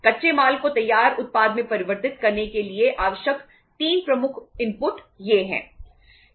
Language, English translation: Hindi, These are the 3 major inputs required for converting the the raw material into the finished product right